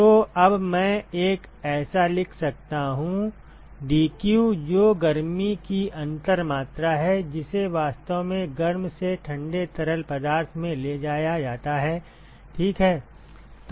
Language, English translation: Hindi, So, now, I can write a so, the dq which is the differential amount of heat that is actually transported from the hot to the cold fluid ok